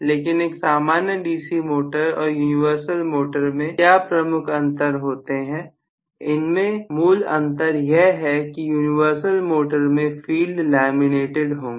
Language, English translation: Hindi, But universal motor, the major difference between a normal DC motor and universal motor is that the field is going to be laminated in the case of the universal motor